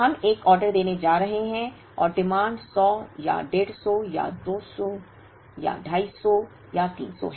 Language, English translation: Hindi, We are going to place an order and the demand is either 100 or 150 or 200 or 250 or 300